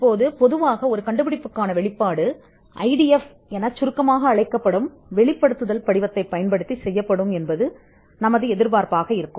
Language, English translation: Tamil, Now, normally you would expect the disclosure to be made, in what is called an invention disclosure form or IDF for short